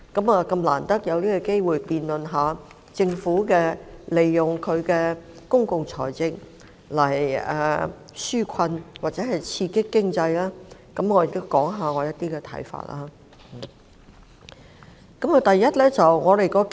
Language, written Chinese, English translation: Cantonese, 我們難得有機會就政府運用公共財政來紓困或刺激經濟進行辯論，我亦要談談我的一些看法。, Since we seldom have the opportunity to debate the Governments public finance approaches in implementing relief measures and stimulating the economy I would like to share some of my views